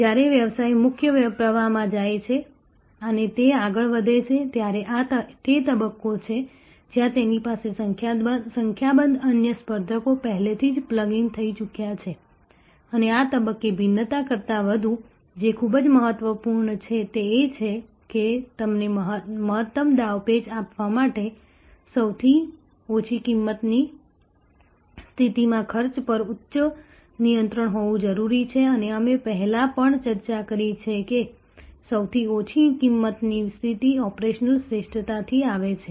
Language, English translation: Gujarati, When the business goes in to the main stream and it progresses further, this is the stage where it has number of other competitor have already plugged in and at this stage more than differentiation, what is very important is to have the high control on cost to be in the lowest cost position to give you the maximum maneuverability and we have also discussed before, that the lowest cost position comes from operational excellence